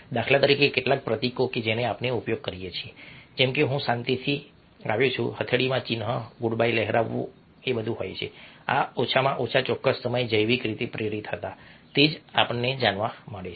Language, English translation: Gujarati, for instance, some of the a emblems that we use ok, like i come in peace, ok, palm up sign, waving a good bye these have a, these have, at least at certain point of time, were biologically driven